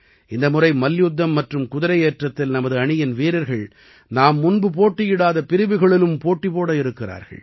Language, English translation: Tamil, This time, members of our team will compete in wrestling and horse riding in those categories as well, in which they had never participated before